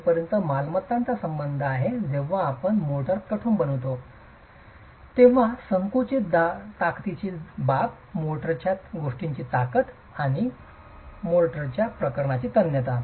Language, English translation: Marathi, As far as properties are concerned when you have hardened the compressive strength matters, the strength of motor matters, the tensile strength of motor matters